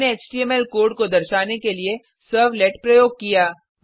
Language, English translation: Hindi, We used the servlet to display an HTML code